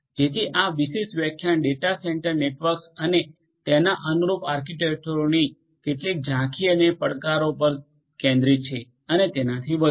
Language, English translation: Gujarati, So, this particular lecture focused on getting some overview of data centre networks and their corresponding architectures and challenges and so on